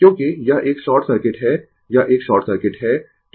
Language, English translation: Hindi, Because, it is a short circuit it is a short circuit right